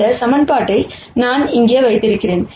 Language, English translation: Tamil, And I have this equation right here